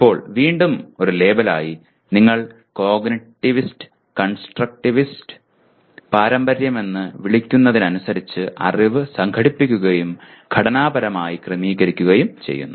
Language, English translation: Malayalam, Now just again as a label, knowledge is organized and structured by the learner in line with what you call cognitivist constructivist tradition